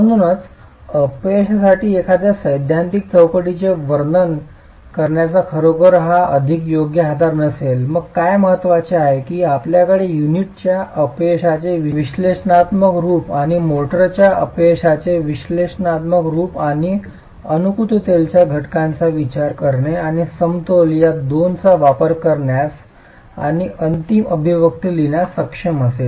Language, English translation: Marathi, So if this is really the more appropriate basis to describe a theoretical framework for the failure, then what is important is that you have an analytical form of the failure of the unit and an analytical form of the failure of the motor and considering factors of compatibility and equilibrium be able to use these two and write the final expression